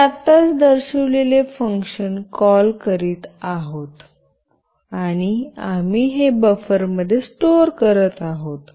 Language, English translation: Marathi, We are calling that function which I have shown just now, and we are storing it in buffer